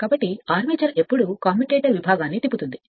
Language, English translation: Telugu, So, when armature will rotate the commutator segment